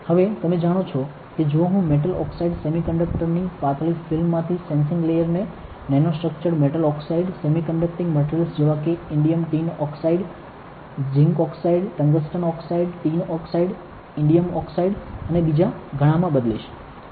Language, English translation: Gujarati, Now, you know that if I change the sensing layer from thin films of metal oxide semi conductors to nano structured metal oxide semi conducting materials like indium tin oxide, zinc oxide, tungsten oxide, tin oxide right, indium oxide and many more